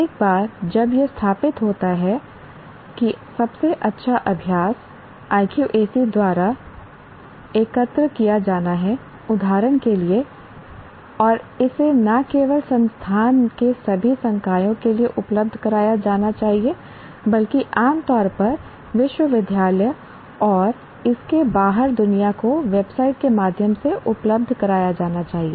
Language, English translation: Hindi, Once all that is established, that best practice is to be collected by IQAC, for example, and it should be disseminated made available to, not only to all the faculty of the institute, but generally to the university and the world outside through its website